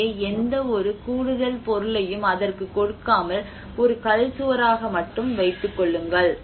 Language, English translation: Tamil, So, without giving any additional material or a render to it but just keeping as a stone wall